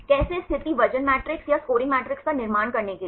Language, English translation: Hindi, How to construct the position weight matrix or scoring matrix